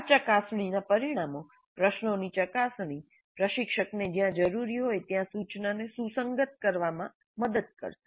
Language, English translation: Gujarati, The results of these probing questions would help the instructor to fine tune the instruction where necessary